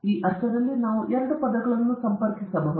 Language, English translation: Kannada, So, in that sense, we can connect these two terms